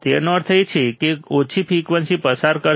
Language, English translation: Gujarati, It means it will pass the low frequencies